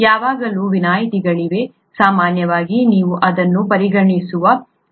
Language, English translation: Kannada, There are always exceptions, usually you can consider this